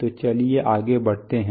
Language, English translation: Hindi, So let us go ahead